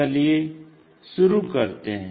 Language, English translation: Hindi, Let us begin